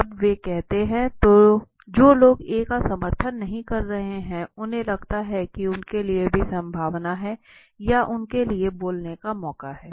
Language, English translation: Hindi, When he says this happens the people who are not supporting A they feel there is also the possibility for them or a chance for them to speak up